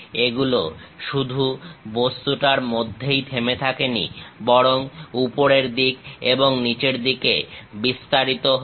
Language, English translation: Bengali, These are not just stopping on the object, but extend all the way on top side and bottom side